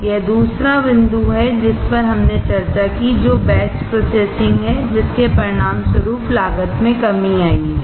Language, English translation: Hindi, That is the second point that we discussed, which is batch processing resulting in cost reduction